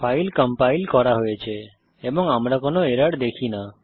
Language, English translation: Bengali, The file is successfully compiled as we see no errors